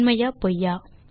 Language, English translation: Tamil, Is it True or False